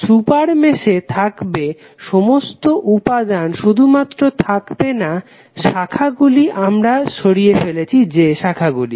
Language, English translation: Bengali, Super mesh would be the mesh having all the elements except the branch which we have removed